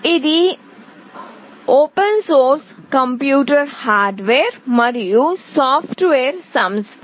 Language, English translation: Telugu, It is an open source computer hardware and software company